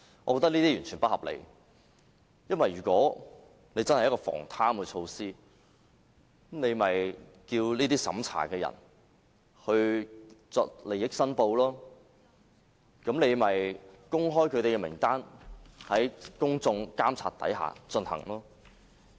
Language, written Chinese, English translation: Cantonese, 我認為這是完全不合理的，因為如果真的是一項防貪措施，便叫這些審查人員作利益申報，公開他們的名單，讓公眾進行監察。, ICAC investigation was also mentioned . I do not think that this explanation is reasonable because to prevent corruption the assessors can be asked to make a declaration of interests and their names can then be publicized for public monitoring